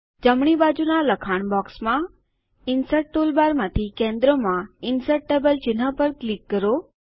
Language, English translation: Gujarati, In the right side text box click on the icon Insert Table from the Insert toolbar in the centre